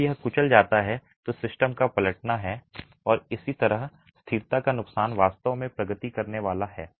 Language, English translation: Hindi, When it crushes you have overturning of the system and that is how the loss of stability is going to actually progress